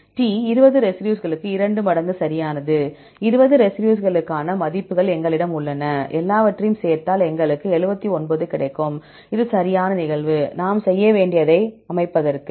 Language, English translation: Tamil, D 2 times right for the 20 residues right, we have the values for the 20 residues, if you add up everything you will get 79, this is occurrence right, to get the composition what we have to do